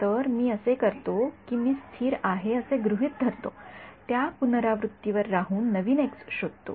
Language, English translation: Marathi, So, what I do is that I assume U to be constant at that iteration find out the new x right